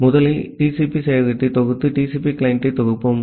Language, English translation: Tamil, So, first let us compile TCP server and compile TCP client